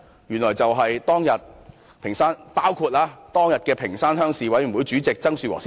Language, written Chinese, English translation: Cantonese, 原來包括當日的屏山鄉鄉事委員會主席曾樹和先生。, It turns out that one of the operators is Mr TSANG Shu - wo chairman of the Ping Shan Rural Committee